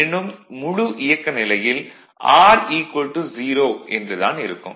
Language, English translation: Tamil, So, but anyway R is equal to 0 at running condition